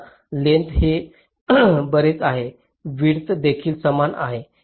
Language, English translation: Marathi, say: length is this much, width is also the same